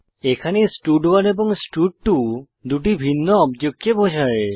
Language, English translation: Bengali, Here both stud1 and stud2 are referring to two different objects